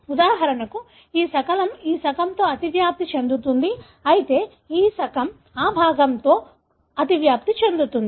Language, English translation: Telugu, For example, this fragment overlaps with this fragment, whereas this fragment overlaps with the same fragment